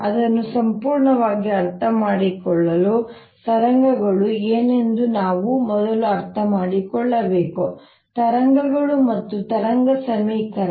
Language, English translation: Kannada, to understand it fully, we should actually first understand what waves are, wave and wave equation